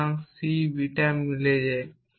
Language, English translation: Bengali, So, c matches beta